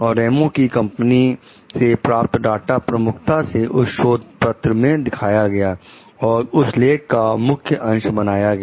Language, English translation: Hindi, The data obtained by Ramos s company are displayed prominently in the paper, and make up a major portion of the article